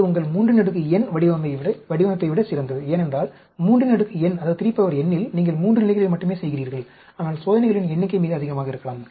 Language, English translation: Tamil, It is even better than your 3 raised to the power n design, because in 3 raised to the power n, you are doing only at 3 levels, but the number of experiments maybe very high